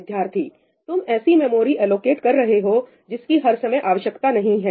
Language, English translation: Hindi, You are allocating memory that is not needed at all times